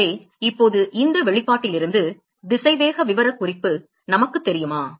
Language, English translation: Tamil, So, now, do we know the velocity profile from this expression